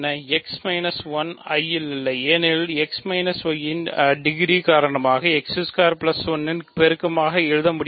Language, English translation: Tamil, x minus 1 is not in I right because x minus 1 cannot be written as a multiple of x squared plus 1 just for degree reasons